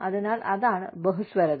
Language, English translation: Malayalam, So, that is pluralism